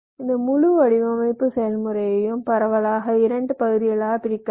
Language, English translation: Tamil, you see, this whole design process can be divided broadly into two parts